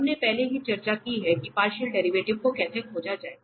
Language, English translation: Hindi, So, we have already discussed how to find the partial derivatives